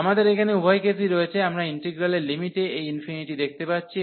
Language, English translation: Bengali, So, we have both the cases here, we do see this infinity in the limit of the integral